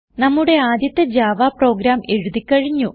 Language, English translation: Malayalam, Alright now let us write our first Java program